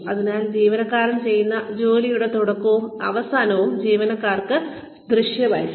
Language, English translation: Malayalam, So, the beginning and the end of the work, that employees put in, should be visible to the employees